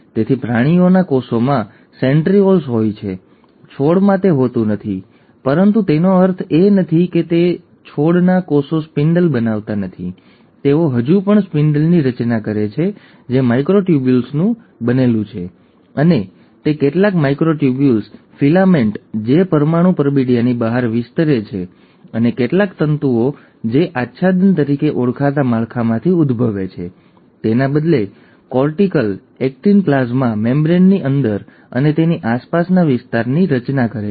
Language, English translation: Gujarati, So in animal cells, there are centrioles, plants do not have it, but that does not mean that the plant cells do not form a spindle; they still form a spindle which is made up of microtubules, and that is because of some of the microtubules, filaments which extend outside of the nuclear envelope and also some of the filaments which originate from structures called as cortex, cortical actin rather form the region in and around the plasma membrane